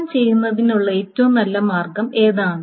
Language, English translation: Malayalam, So how do you find out what is the best way of doing S1